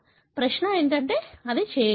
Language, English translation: Telugu, The question is it could